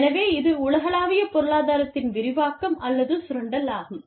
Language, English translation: Tamil, So, that is expansion of the global economy, or, exploitation of the global economy of scope